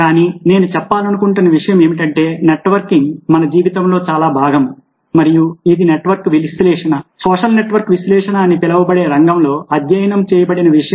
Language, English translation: Telugu, but the point i was trying to make was that networking is very much part of our life, and this is something which has been studied in a field known as network analysis ok, social network analysis